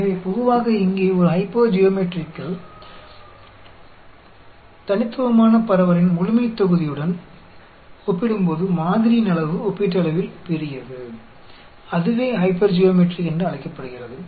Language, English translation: Tamil, So generally, here in a hypergeometric, the sample size is relatively large when compared to the population of a discrete distribution; that is called hypergeometric